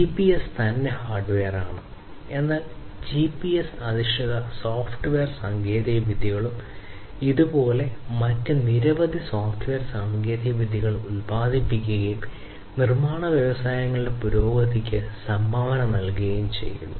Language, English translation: Malayalam, So, GPS; GPS itself is hardware, but you know the GPS based software technologies and like this there are many other software technologies that have emerged and have contributed to the advancement of manufacturing industries